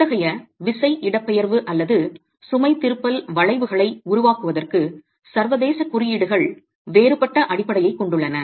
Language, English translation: Tamil, International codes have different basis for developing such force displacement or load deflection curves for compression